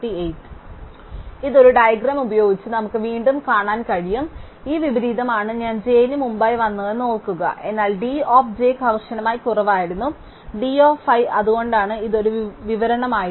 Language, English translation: Malayalam, So, this can again we seen by a diagram, so remember that this inversion said that i came before j, but d of j was strictly less then d of i which is why it was an description